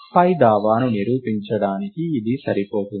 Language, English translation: Telugu, To prove the above claim, it is sufficient